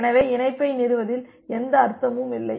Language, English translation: Tamil, So, there is no point in establishing the connection